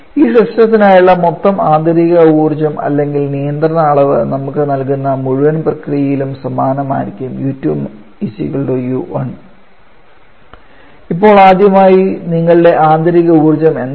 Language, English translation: Malayalam, Then the total internal energy for this system or control volume should remain the same over the inter process which gives us U2 to be equal to U1